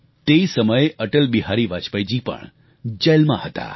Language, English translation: Gujarati, Atal Bihari Vajpayee ji was also in jail at that time